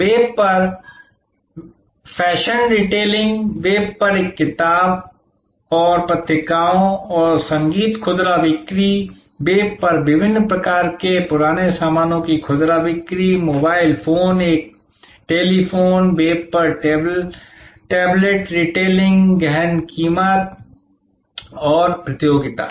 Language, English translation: Hindi, So, fashion retailing on the web a books and periodicals and music retailing on the web, different types of house old stuff retailing on the web, mobile phone, a telephone, tablet retailing on the web, intense price competition